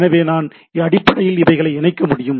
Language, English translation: Tamil, So I can basically connect to the things